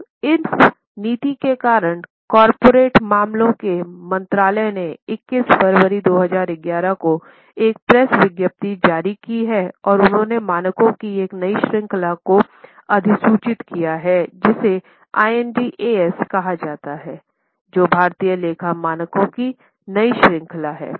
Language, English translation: Hindi, Now, because of this policy, Ministry of Corporate Affairs has issued a press release on 21 February 2011 and they have notified a new series of standards which are called as IND AS, that is a new series of Indian accounting standards